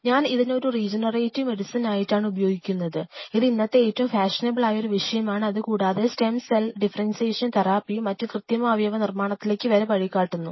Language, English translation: Malayalam, I use this as a regenerative medicine, where which is one of the very fashionable topics currently and the stem cell differentiation and therapy, and which eventually may lead to artificial organs